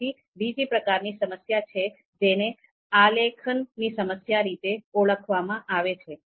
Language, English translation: Gujarati, Then there is another type of problem called design problem